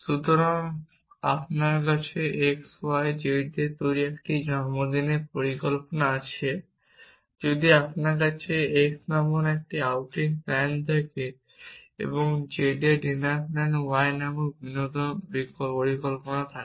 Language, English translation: Bengali, So, you have a birthday plan made up of x y and z if you have an outing plane of called x and entertainment plan called y in a dinner plan for z